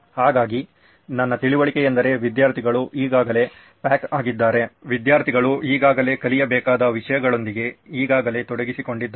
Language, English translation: Kannada, So my understanding is that students are already packed, students are already pretty much engaged with what they already have to learn